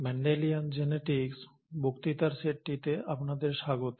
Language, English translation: Bengali, Welcome to the set of lectures on Mendelian Genetics